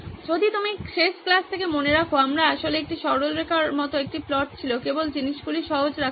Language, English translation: Bengali, If you remember from last class we actually had a plot like this a straight line just to keep things simple